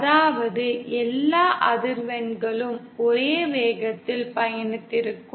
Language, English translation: Tamil, That is, all frequencies would have been travelling at the same velocity